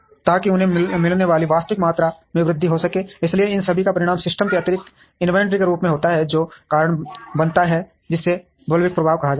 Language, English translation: Hindi, So, that the actual quantity that they get can increase, so all these result in excess inventory in the system, which causes what is called bullwhip effect